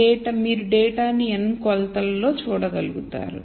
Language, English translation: Telugu, So, you are able to see data in n dimensions